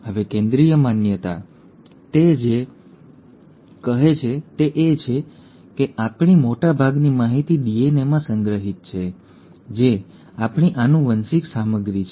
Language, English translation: Gujarati, Now Central dogma, what it says is that most of our information is stored in DNA, our genetic material